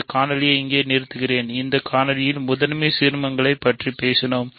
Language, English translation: Tamil, So, let me stop this video here; in this video we have talked about principal ideal domains